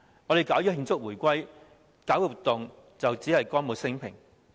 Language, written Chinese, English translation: Cantonese, 我們舉辦慶祝回歸活動，只是歌舞昇平。, We organize celebration activities for the reunification simply to stage a show of peace and prosperity